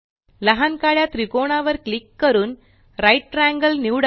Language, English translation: Marathi, Click on the small black triangle and select Right Triangle